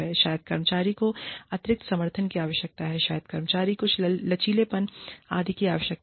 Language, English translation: Hindi, There is, maybe, the employee needs additional support, maybe, the employee needs some flexibility, etcetera